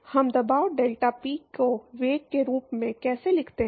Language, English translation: Hindi, How do we write pressure deltaP in terms of velocity